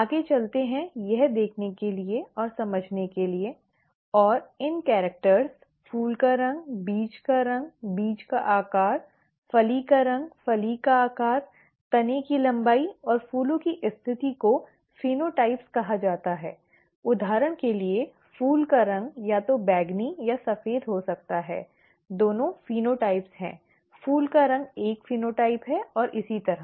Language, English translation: Hindi, Let us go further to see, to explain this and these characters, flower colour, seed colour, seed shape, pod colour, pod shape, stem length and flower positions are called ‘phenotypes’; for example, the flower colour could be either purple or white; both are phenotypes, flower colour is a phenotype and so on